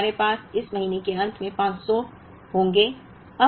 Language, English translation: Hindi, So, we would have 500 at the end of this month